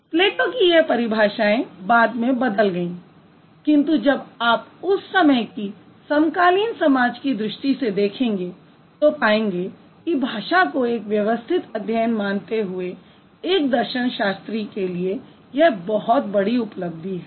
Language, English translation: Hindi, So, Plato's definition got changed later, but if you think about the contemporary society at that point of time, this was one of the, one of the biggest achievements that the philosophers had, if you consider language as a systematic study or language as a tool of systematic study